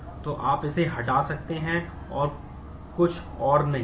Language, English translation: Hindi, So, you can remove that and there is nothing else